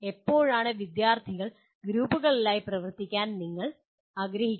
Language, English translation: Malayalam, And when do you actually want to work students in groups